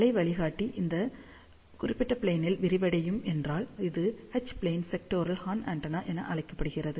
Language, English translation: Tamil, If waveguide is flared in this particular plane, it is known as H plane sectoral horn antenna